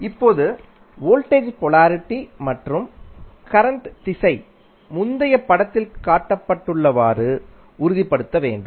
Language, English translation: Tamil, Now, the voltage polarity and current direction should confirm to those shown in the previous figure